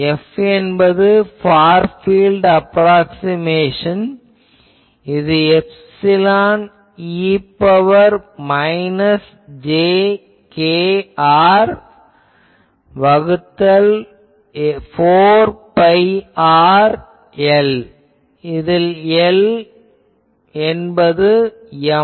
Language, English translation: Tamil, F will be as a far field approximation, this will be epsilon e to the power minus jkr by 4 pi r some L; where, L is Ms